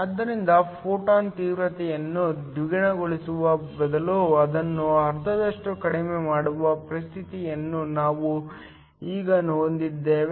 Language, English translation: Kannada, So, we now have a situation where instead of doubling the photon intensity reducing it by half